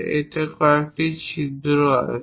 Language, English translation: Bengali, It has few holes also